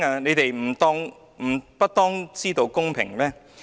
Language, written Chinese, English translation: Cantonese, 你們不當知道公平嗎？, Is it not for you to know justice?